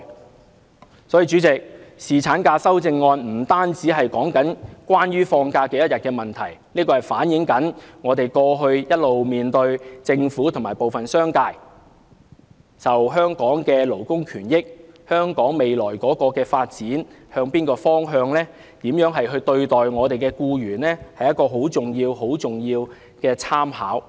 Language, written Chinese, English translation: Cantonese, 因此，主席，侍產假的修正案不僅是多少天假期的問題，更是反映政府和部分商界過去一直如何看待香港的勞工權益、反映香港未來的發展方向、反映商界如何對待僱員，是一個十分重要、十分重要的參考。, Chairman the amendments on paternity leave do not merely concern about the number of days of leave but an indication of how the Government and some people in the business sector have all along perceived the issue of labour rights and interests; an indication of the direction of Hong Kongs future development and also an indication of how employees are treated by the business sector . Such indications have very high reference value